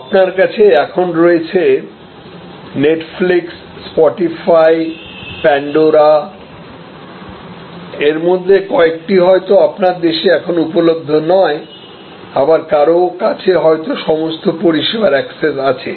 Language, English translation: Bengali, So, you have in front of you some of these names Netflix, Spotify, Pandora some of them may not be as yet available in your country, some of you may have access to all the services